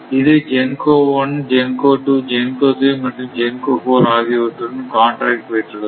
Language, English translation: Tamil, It has contact with your GENCO 1, then GENCO 2, then GENCO 3 and GENCO 4 right